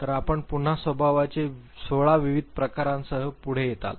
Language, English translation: Marathi, So, you again come forward with 16 different types of temperaments